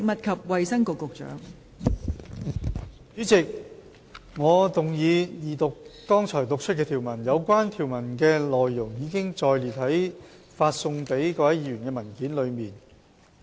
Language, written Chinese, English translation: Cantonese, 代理主席，我動議二讀剛讀出的條文，有關條文的內容已載列於發送給各位議員的文件中。, Deputy Chairman I move the Second Reading of the clauses read out just now as set out in the paper circularized to Members